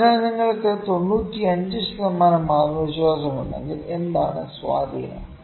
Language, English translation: Malayalam, So, if you are 95 percent confidence, if you are 95 percent confident, what is the influence